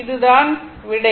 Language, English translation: Tamil, So, this is answer